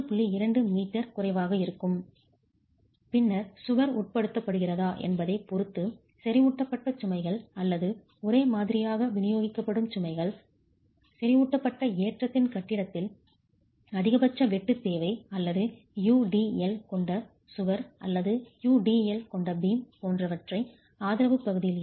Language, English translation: Tamil, 2 meters and then depending on whether the wall is subjected to concentrated low loads or uniformly distributed loads, either the maximum shear demand at the point of concentrated loading or you can look at in the case of a wall with UDL or a beam with UDL, the maximum shear at